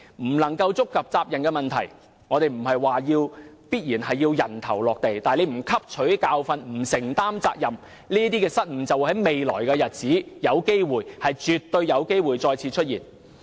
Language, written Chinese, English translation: Cantonese, 我不是說有人必須"人頭落地"，但若有關人士不汲取教訓、不承擔責任，這種失誤在未來的日子絕對有機會再次出現。, I am not saying that some people must have their heads roll but if the relevant people do not learn a lesson or take responsibility it is definitely possible that such blunders will recur in the future